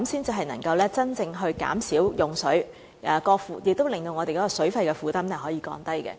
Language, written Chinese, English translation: Cantonese, 這樣才能真正減少用水，亦令我們的水費負擔得以降低。, Only in that way can we really reduce water consumption and lessen our burden from water charges